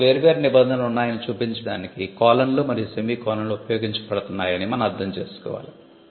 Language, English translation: Telugu, So, that is why you will find that colons and semicolons are used to show that there are different clauses